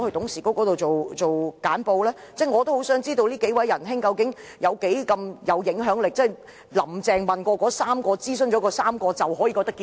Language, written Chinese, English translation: Cantonese, 我也很想知道這幾位仁兄究竟有多大影響力，"林鄭"諮詢了3位人士後是否就覺得事情可以長驅直進？, I am eager to know how influential these few people were . Did Carrie LAM think that the matter could proceed forthwith after consulting these three people?